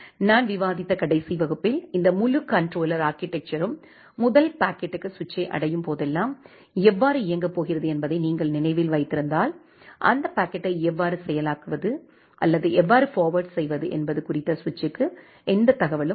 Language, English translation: Tamil, If you remember in the last class that I have discussed, that how this entire controller architecture is going to work for the first packet whenever it reaches to the switch, the switch does not have any information about how to process that packet or how to forward that packet